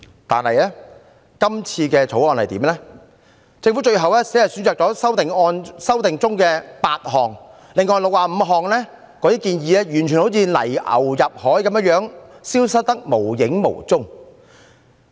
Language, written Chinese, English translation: Cantonese, 然而，政府提出的《條例草案》只選擇修訂當中的8項，另外65項建議完全像泥牛入海，消失得無影無蹤。, However the Government has only chosen to implement eight recommendations in the Bill while the other 65 recommendations have vanished without a trace